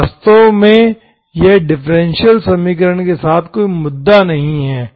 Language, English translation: Hindi, So actually this is not an issue, it is not an issue with the differential equation